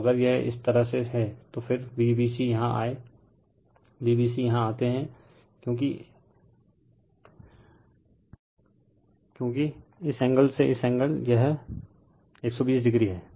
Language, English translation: Hindi, Then if it is V a b like this, then V b c will come here V b c will come here because this angle to this angle, it is 120 degree